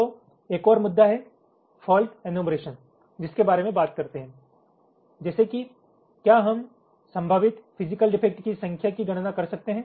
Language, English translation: Hindi, we talk about fault enumeration, like: can we count the number of possible physical defects